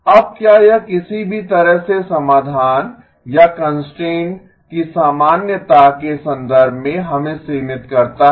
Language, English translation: Hindi, Now does that in any way limit us in terms of the generality of the solution or constraints